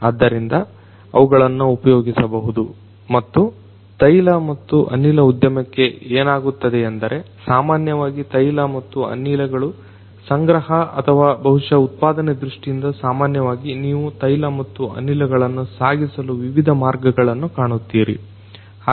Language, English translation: Kannada, So, they could be used and for oil and gas industry, what also happens is typically from the point the oil and gas are procured or may be generated typically you will find that there are different ways of transporting that oil and gas right